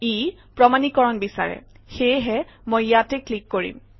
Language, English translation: Assamese, It requires authentication , so I put a click here